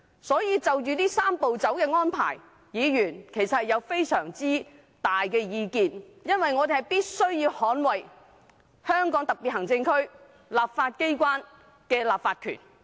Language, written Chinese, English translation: Cantonese, 因此，就"三步走"的安排，議員其實大有意見，因為我們必須捍衞香港特別行政區立法機關的立法權。, Therefore Members indeed have strong views about the Three - step Process because we must defend the legislative power of the legislature of the Hong Kong Special Administrative Region